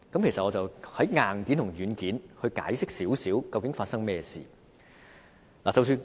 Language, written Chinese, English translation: Cantonese, 我想從硬件及軟件來解釋究竟發生何事。, I wish to explain what exactly happened in terms of hardware and software